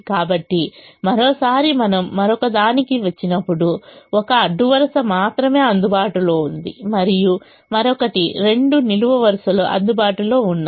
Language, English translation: Telugu, so once again, when we came to the other one, there is only one row that is available and other there are two columns that are available